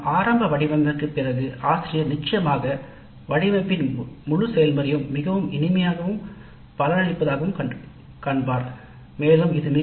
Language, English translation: Tamil, So after the initial design the teacher would even find the entire process of course design a pleasant activity